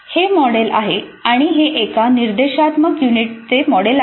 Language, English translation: Marathi, This is the model and this is the model for one instructional unit